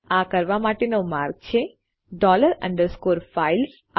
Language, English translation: Gujarati, The way to do this is by using dollar underscore FILES